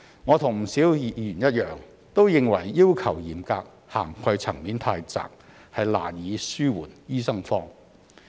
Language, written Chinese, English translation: Cantonese, 我與不少議員一樣，都認為要求嚴格、涵蓋層面太窄，難以紓緩醫生荒。, I share the view of many Members and consider the requirements too stringent and the coverage too narrow to alleviate the shortage of doctors